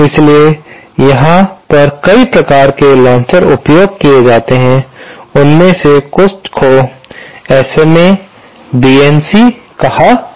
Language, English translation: Hindi, So, there are several type of launchers, some of them are called SMA, BNC like this